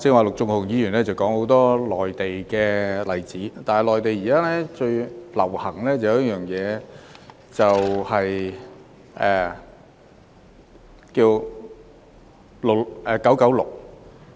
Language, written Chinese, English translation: Cantonese, 陸頌雄議員剛才提到很多內地的例子，但內地現時最流行 "9-9-6"。, Just now Mr LUK Chung - hung cited a number of Mainland examples but I would like to say that the 9 - 9 - 6 work culture is now very popular in the Mainland